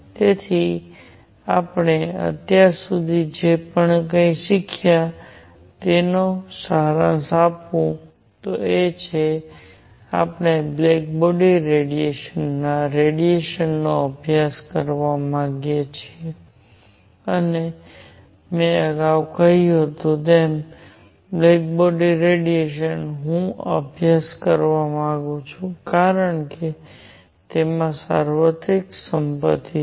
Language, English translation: Gujarati, So, let me summarize whatever we have learnt so far is that; if we wish to study black body radiation and as I said earlier; black body radiation, I want to study because it has a universal property